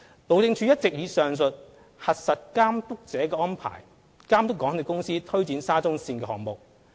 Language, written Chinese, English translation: Cantonese, 路政署一直以上述"核實監督者"的安排，監督港鐵公司推展沙中線項目。, HyD has all along adopted the Check the Checker arrangement in monitoring the SCL project implemented by MTRCL